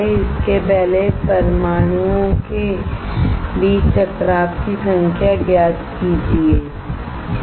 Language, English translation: Hindi, Find it out number of collision between atoms right before